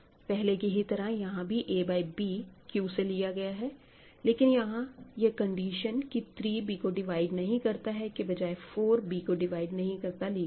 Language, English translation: Hindi, So, I will take as before a by b in Q, but instead of saying 3 does not divide b, I will say 4 does not divide b ok